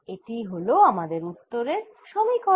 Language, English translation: Bengali, this is the equation that give me the answer